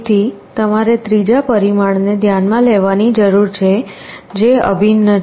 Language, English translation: Gujarati, So, you also need to consider a third parameter that is the integral